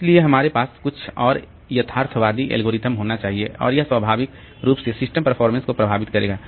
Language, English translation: Hindi, So, we have to have some more realistic algorithm and naturally that will affect the system performance